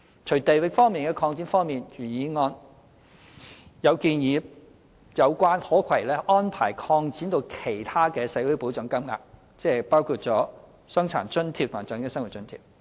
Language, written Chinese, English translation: Cantonese, 除地域方面的擴展外，原議案也建議把有關可攜安排擴展至其他的社會保障金額，即包括傷殘津貼和長者生活津貼。, Apart from geographical extension the original motion also suggests extending the portability arrangements to other social security payments that is Old Age Living Allowance OALA and Disability Allowance DA